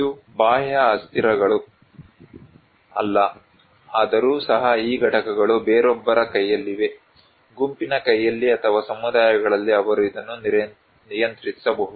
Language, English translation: Kannada, It is not an exogenous variable, but there is also, so these components are much in someone's hands, in a group’s hands or communities they can control this one